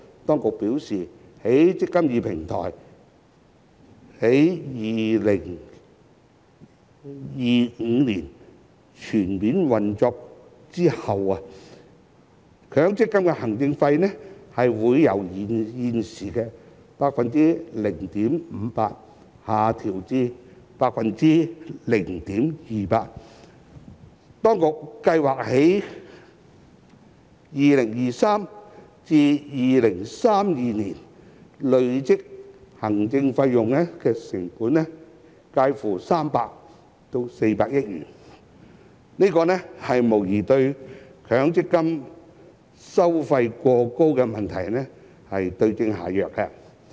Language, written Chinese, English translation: Cantonese, 當局表示，"積金易"平台於2025年全面運作後，強積金的行政費會由現時的 0.58% 下降至 0.28%， 當局預計在2023年至2032年累計節省的行政成本介乎300億元至400億元，無疑對強積金收費過高的問題對症下藥。, The Administration has advised that after the eMPF Platform becomes fully operational in 2025 the administration fee of MPF will drop from 0.58 % at present to 0.28 % . It is estimated that the cumulative cost savings in administrative costs between 2023 and 2032 will range from 30 billion to 40 billion . No doubt this is the right remedy to the problem of excessively high MPF fees